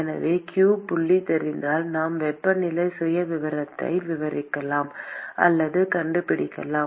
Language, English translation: Tamil, So, if q dot is known, then we can describe or find the temperature profile